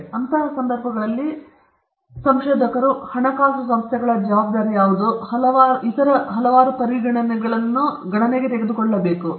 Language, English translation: Kannada, So, in such cases, what should be the responsibility of the researchers, of the funding agencies, and several other considerations have to be taken into account